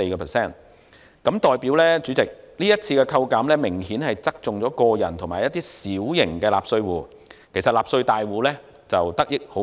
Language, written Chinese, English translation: Cantonese, 主席，這代表今次扣減明顯側重於個人及小型納稅戶，而納稅大戶得益甚微。, Chairman this means that the current reduction is obviously lopsided towards individuals and small tax - paying entities leaving little benefit to large ones